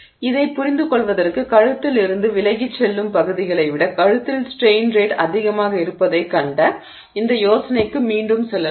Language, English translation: Tamil, So, to understand that let's go back to this idea that we just saw that at the neck the strain rate is higher than at regions away from the neck